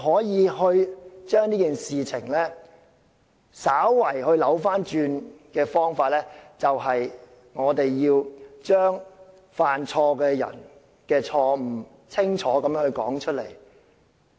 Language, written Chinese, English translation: Cantonese, 要將事情稍為扭轉，只有一個方法，就是要清楚地把犯錯的人的錯誤說出來。, The only way to slightly reverse the trend is to point out the wrongdoings of the culprit in no uncertain terms